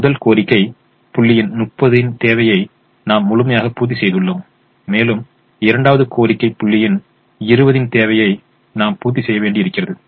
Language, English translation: Tamil, we have completely met the demand of thirty of the first demand point and we have to meet twenty more of the demand of the second demand point